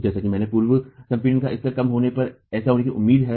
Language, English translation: Hindi, As I said this is expected to occur when the level of pre compression is low